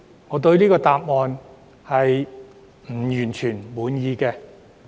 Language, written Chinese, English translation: Cantonese, 我對這個答案並不完全滿意。, I am not quite satisfied with this answer